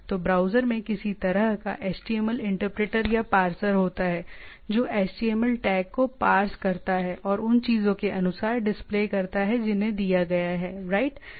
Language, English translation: Hindi, So, the browser has a some sort of a HTML interpreter or a parser, which parse the html tag and displays as per the things which is been given right